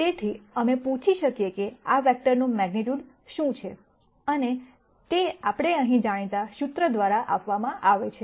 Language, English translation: Gujarati, So, we might ask what is the magnitude of this vector and that is given by the wellknown formula that we see right here